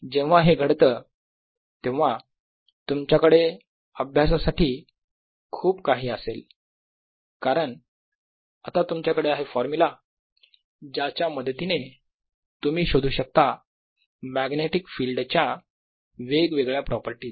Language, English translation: Marathi, now you can have in lot and lot of more studies because now you have a formula from which you can derive various properties of magnetic field